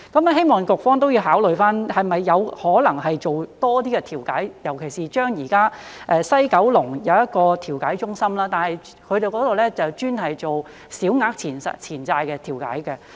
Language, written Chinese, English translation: Cantonese, 希望局方考慮是否有可能多做一些調解，尤其是現在西九龍有一個調解中心，但那裏只做小額錢債的調解。, I hope the Bureau will consider whether it is possible to do more mediation especially when there is a mediation centre in West Kowloon now but it only does mediation for small claims